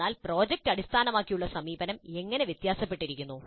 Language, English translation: Malayalam, Then where does project based approach differ